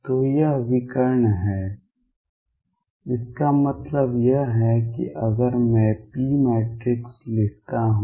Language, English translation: Hindi, So, this is diagonal what; that means, is that if I write p matrix